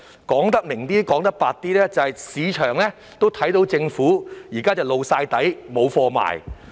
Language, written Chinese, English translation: Cantonese, 說白一些，市場也看到政府現時露了底，"無貨賣"。, To put it bluntly the market could see that the Government had revealed its cards with nothing to sell